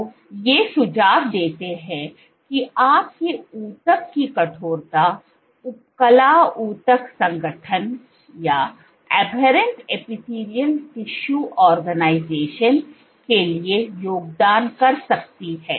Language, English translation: Hindi, So, these suggest that your tissue stiffness could contribute to aberrant epithelial tissue organization